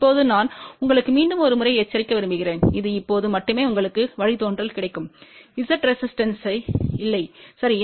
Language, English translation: Tamil, Now, I just want to again warn you one more time this you will get the derivation only when Z is not resistive, ok